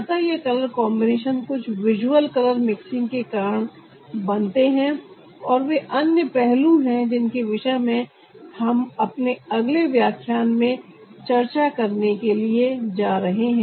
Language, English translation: Hindi, so these color combinations are caused by some visual color mixing, and that is also another aspect that we are going to discuss, no one later, but right now